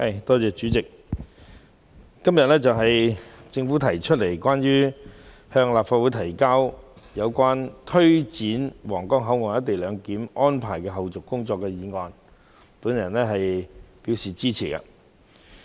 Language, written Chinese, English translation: Cantonese, 代理主席，對於政府今天向立法會提交有關推展皇崗口岸「一地兩檢」安排的後續工作的議案，我是支持的。, Deputy President I support the motion put by the Government to the Legislative Council today on taking forward the follow - up tasks of implementing co - location arrangement at the Huanggang Port